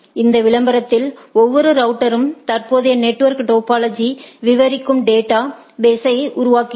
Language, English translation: Tamil, Why in this advertisement each router creates a database detailing the current network topology